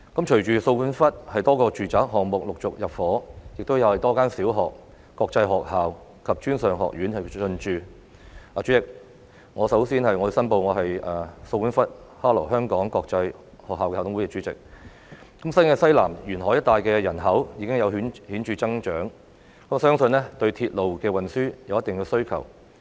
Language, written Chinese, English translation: Cantonese, 隨着掃管笏多個住宅項目陸續入伙，亦有多間小學、國際學校及專上學院進駐——代理主席，我首先申報我是掃管笏的哈羅香港國際學校校董會主席——新界西南沿海一帶的人口已經有顯著增長，相信對鐵路運輸有一定的需求。, Following the population intake of numerous residential developments in So Kwun Wat one after another as well as the opening of several primary schools international schools and tertiary institutions―Deputy President I first declare that I am a governor of the governing board of Harrow International School Hong Kong at So Kwun Wat―the population in the coastal area in New Territories Southwest has seen significant growth . I believe that there is a certain demand for railway transport